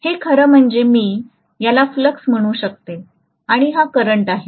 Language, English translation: Marathi, So this is actually I can call that as flux and this is current for example